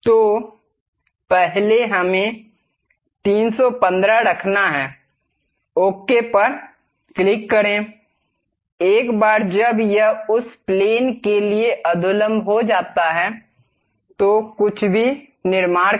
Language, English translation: Hindi, So, first let us keep 315, click ok; once it is done normal to that plane, construct anything